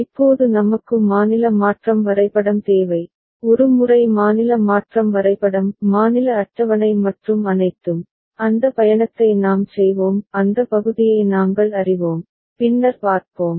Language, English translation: Tamil, Now we need the state transition diagram, and once we have the state transition diagram state table and all, and those journey we shall we know that part, we shall see later